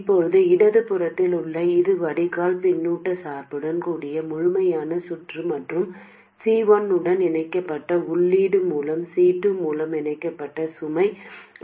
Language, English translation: Tamil, Now this on the left side is the complete circuit with drain feedback bias and also the input source connected through C1, the load coupled through C2